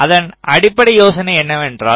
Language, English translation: Tamil, so what is the basic idea